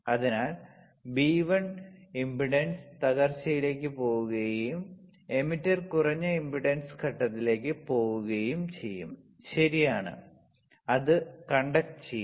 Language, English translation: Malayalam, So, it is conducting that is why this is a it goes to the impedance collapses B1 will go to impedance collapses and the emitter goes into low impedance stage, right, it will conduct